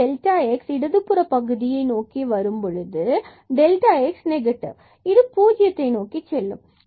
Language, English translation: Tamil, So, we will have delta x only and taking this limit delta x goes to 0, this will go to 0